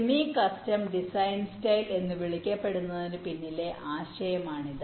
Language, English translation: Malayalam, this is the concept behind this so called semi custom design style